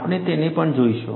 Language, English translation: Gujarati, We will also see them